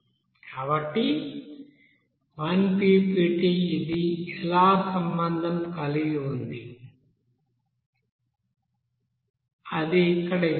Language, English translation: Telugu, So 1 ppt how it is related that is given here